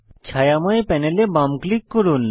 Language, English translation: Bengali, Left click the shaded panel